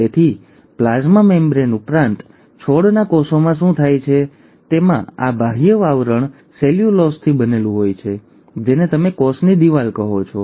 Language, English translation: Gujarati, So in addition to a plasma membrane, what happens in plant cells is they have this outer covering made up of cellulose, which is what you call as the cell wall